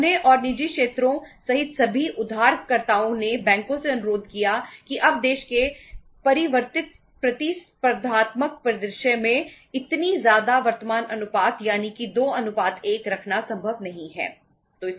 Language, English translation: Hindi, They as well as all the borrowers including private sectors they requested the banks that now in the changed competitive scenario of the country, in the changed competitive scenario of the country it is not possible to have say huge current ratio that is 2:1